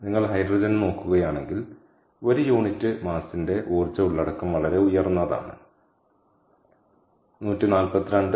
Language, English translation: Malayalam, so if you look at hydrogen, the energy content per unit mass is very high, one forty two mega joules per kg